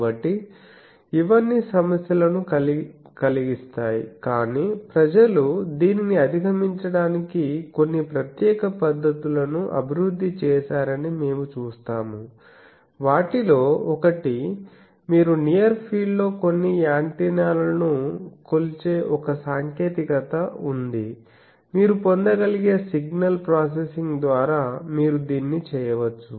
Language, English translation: Telugu, So, all these poses problems but we will see that the people have developed some special techniques to overcome that, one of that is there is a technique that you measure some antenna in the near field, you can by signal processing you can get a near field to far field transform and you can predict what is the far field